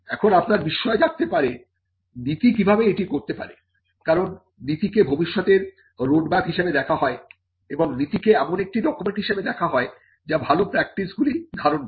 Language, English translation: Bengali, Now, you may wonder how just the policy can do that because the policy is seen as a road map to the future and the policy is also seen as a document that captures good practices